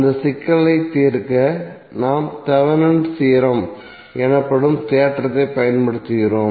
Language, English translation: Tamil, So to solve that problem we use the theorem called Thevenin’s theorem